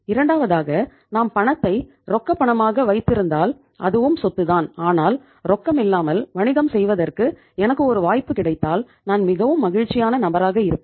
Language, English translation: Tamil, So two because if you are keeping cash as a cash again itís also asset but if given a chance to me to do the business without cash Iíll be the happiest person